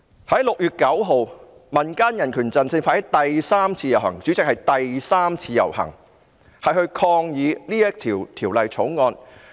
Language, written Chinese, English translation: Cantonese, 在6月9日，民間人權陣線發起第三次遊行——主席，是第三次遊行——抗議這項《條例草案》。, On 9 June the Civil Human Rights Front launched the third procession―President the third march to protest against the Bill